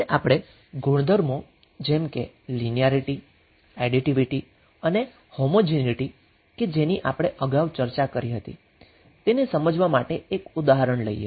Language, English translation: Gujarati, Now let us take one example to understand the properties which we discussed like linearity and the additivity and homogeneity